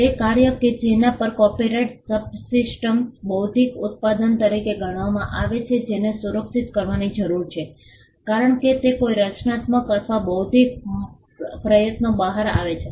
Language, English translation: Gujarati, The works on which copyright subsists are regarded as intellectual production which need to be protected because they come out of a creative or intellectual effort